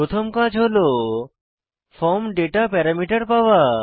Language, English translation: Bengali, The first task is to retrieve the form data parameters